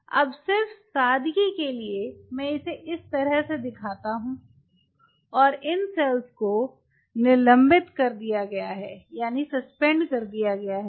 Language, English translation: Hindi, now, just for simplicity sake i am just putting it like: and these cells are suspended